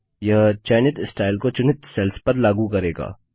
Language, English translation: Hindi, This will apply the chosen style to the selected cells